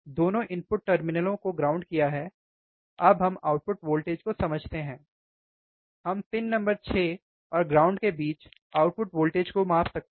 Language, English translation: Hindi, So, with the input voltages are ground both the terminals are grounded ok, now we are understanding output voltage, from where output voltage, we can measure the output voltage at pin number 6 with or between pin number 6 and ground